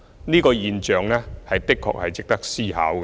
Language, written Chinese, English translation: Cantonese, 這個現象的確值得思考。, This is surely a case that warrants reflection